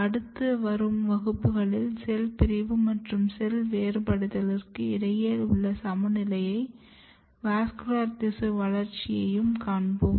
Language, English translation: Tamil, In next class, we will more move towards the balance between cell division and differentiation and particularly vascular tissue development